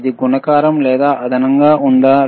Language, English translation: Telugu, Is it multiplication or addition